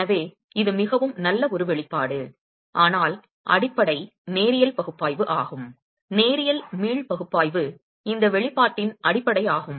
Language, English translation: Tamil, So this is an expression that is fairly good but linear analysis is the basis, linear elastic analysis is the basis of this expression itself